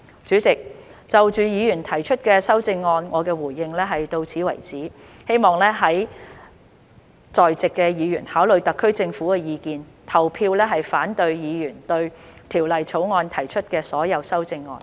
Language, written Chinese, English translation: Cantonese, 主席，就議員提出的修正案，我的回應到此為止，希望在席議員考慮特區政府的意見，投票反對議員對《條例草案》提出的所有修正案。, Chairman this is my response to the amendments proposed by Members . I hope that Members in the Chamber will consider the views of the SAR Government and vote against all the amendments proposed by Members to the Bill